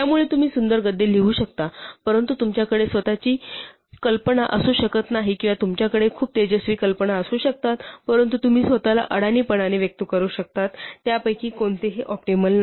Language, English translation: Marathi, So you might write beautiful prose, but you may have no ideas or you may have very brilliant ideas but you may express yourselves clumsily, neither of them is optimal